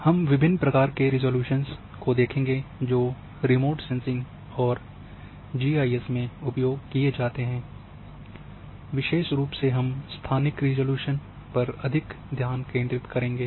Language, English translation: Hindi, And also we will see the different types of resolutions which are considered in remote sensing in GIS; especially we will be focusing more on spatial resolution